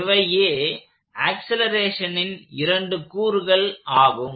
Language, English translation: Tamil, So, these are the two components of this acceleration